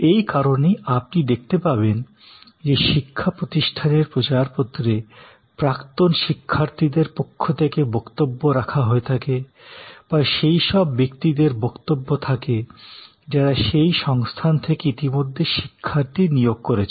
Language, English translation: Bengali, So, that is why, you will see that in the brochures of educational institutes, there will be statements from alumni, there will be statements from people who have recruited students from that institute and so on